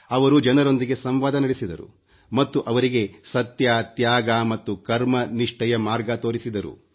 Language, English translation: Kannada, He entered into a dialogue with people and showed them the path of truth, sacrifice & dedication